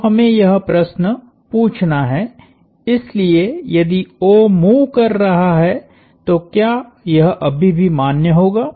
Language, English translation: Hindi, So, we have to ask this question, so if O is moving would this still be valid